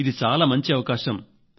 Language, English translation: Telugu, It is a very big opportunity